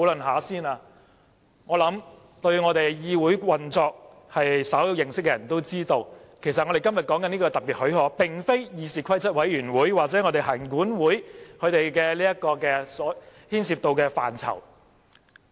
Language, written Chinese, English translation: Cantonese, 我想，對我們議會運作稍有認識的人都知道，我們今天討論的這項特別許可，其實並非議事規則委員會或行管會所牽涉的範疇。, I believe anyone with basic knowledge of the operation of our legislature can realize that the application for special leave under discussion today does not fall within the ambit of both CRoP and LCC